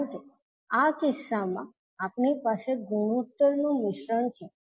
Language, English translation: Gujarati, Because in this case we have a combination of ratios